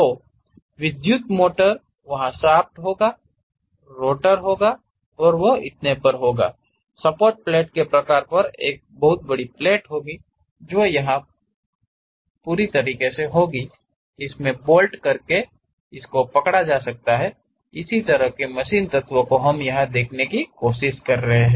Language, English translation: Hindi, So, the typical electrical motors, there will be shaft and there will be rotor and so on; there will be a plate bearing kind of supported kind of plate which you go ahead and insert it and bolt in it, tighten it, such kind of machine element what we are trying to look at here